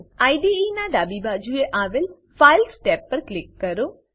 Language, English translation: Gujarati, Click on the Files tab on the left hand side of the IDE